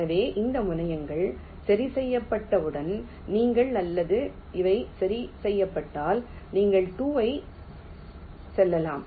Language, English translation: Tamil, so once these terminals are fixed, you can or these are fixed, you can route two